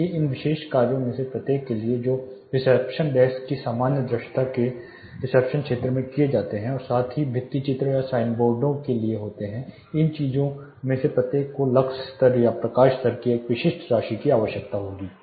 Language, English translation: Hindi, So, for each of these particular tasks which are performed reception desk general visibility of the reception area itself plus lighting the murals or painting sign boards each of these things will need a specific amount of lux level or lighting level